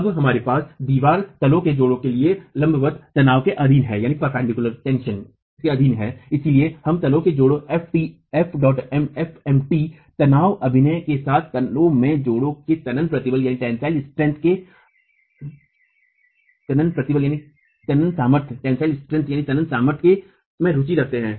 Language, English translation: Hindi, Now here the wall is subjected to tension perpendicular to the bed joint and therefore we are interested in the tensile strength of the bed joint with tension acting perpendicular to the bed joint FMT